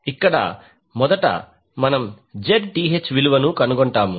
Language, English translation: Telugu, So here, first we will find the value of Zth